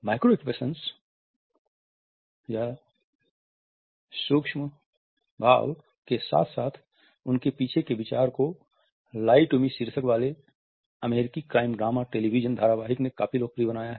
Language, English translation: Hindi, The term micro expression as well as the idea behind them was popularized by an American crime drama television series with the title of "Lie to Me"